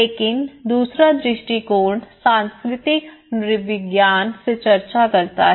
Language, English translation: Hindi, But the second perspective is discusses from the cultural anthropology